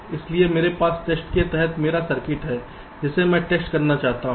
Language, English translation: Hindi, it looks like this: so i have my circuit under test, which i want to test